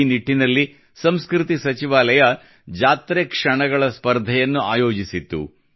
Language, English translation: Kannada, The Ministry of Culture had organized a Mela Moments Contest in connection with the same